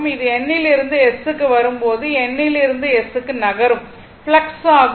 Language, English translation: Tamil, It is the flux moving from N to S while coming from N to S right